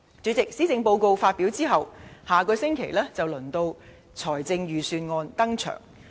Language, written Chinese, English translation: Cantonese, 主席，施政報告發表後，下星期便輪到財政預算案登場。, President after the publication of the Policy Address the Budge will be announced next week